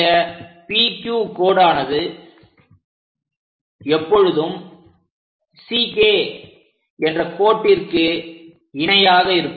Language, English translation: Tamil, And this line P Q always be parallel to C K line, this is the way one has to construct it